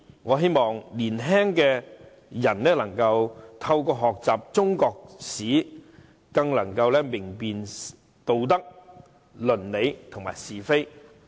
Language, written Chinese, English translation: Cantonese, 我希望青年人能透過學習中國歷史，可以更明辨道德、論理及是非。, I hope that young people can gain a more critical sense of morals ethics as well as right and wrong through learning Chinese history